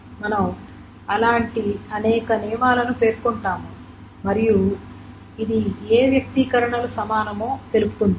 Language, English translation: Telugu, So we will specify many such rules there and this specifies which expressions are equivalent